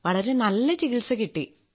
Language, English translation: Malayalam, It has been a great treatment